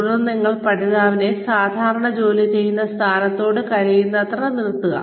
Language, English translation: Malayalam, Then, you place the learner, as close to the normal working position, as possible